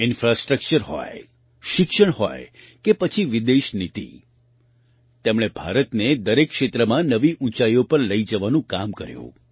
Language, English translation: Gujarati, Be it infrastructure, education or foreign policy, he strove to take India to new heights in every field